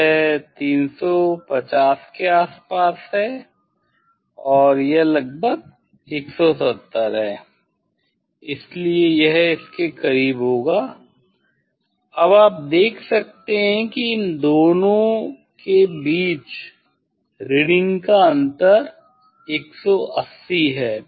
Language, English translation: Hindi, that is around 350 and this is around 170 of course, so it will be close to that; now you can see the reading difference between these two is 180